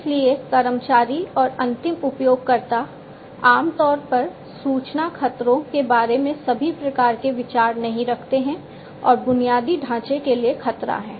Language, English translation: Hindi, So, employees and the users, end users in fact, typically do not have all types of idea about the information threats, threats to the infrastructure and so on